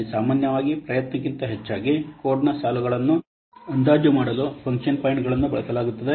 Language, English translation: Kannada, Function points are normally used to estimate the lines of code rather than effort